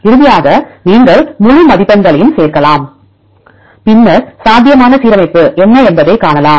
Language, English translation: Tamil, And finally you can add the whole scores and then see what will be the probable alignment